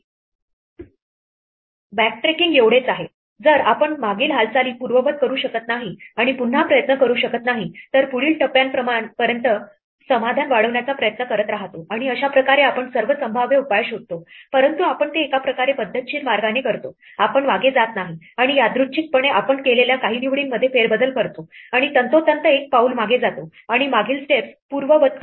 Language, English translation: Marathi, This is what backtracking is all about, we keep trying to extend the solution to the next step if we cannot we undo the previous move and try again, and in this way we exhaustively search through all the possible solutions, but we do it in a systematic way we do not go back and randomly reshuffle some of the choices we made before we go back precisely one step and undo the previous steps